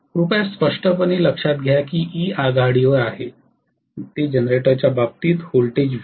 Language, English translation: Marathi, Please clearly note that that E is leading, it is going to lead the voltage Vt in the case of a generator